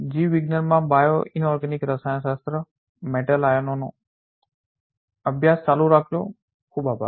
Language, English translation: Gujarati, Thank you very much keep studying bioinorganic chemistry metal ions in biology